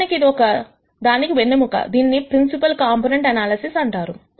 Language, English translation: Telugu, In fact, this is a backbone for something called principal component analysis